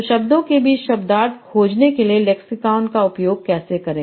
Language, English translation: Hindi, So how do you use lexicon to find semantics between words